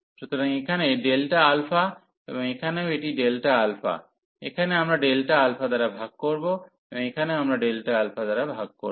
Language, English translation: Bengali, So, here delta alpha, and here also this delta alpha, here we will divide by delta alpha, and here also we will divide by delta alpha